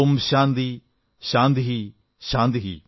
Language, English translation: Malayalam, Om Shanti Shanti Shanti